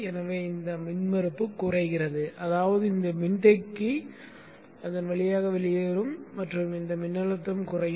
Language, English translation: Tamil, So once this tries to cut in this impedance drops which means this capacitor will discharge through this and this voltage will come down